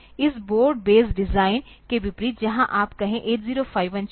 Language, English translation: Hindi, Unlike this board base design, where if you take say 8051 chip